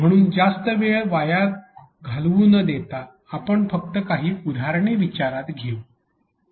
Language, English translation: Marathi, So, without wasting more time let us just start getting into some of the examples